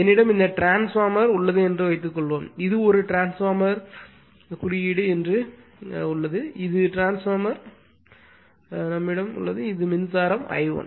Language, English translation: Tamil, Suppose I have this suppose I have this transformer I have that this is a transformer symbol I have the transformer say this is my current I 1, right